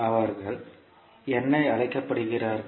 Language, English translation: Tamil, And what they are called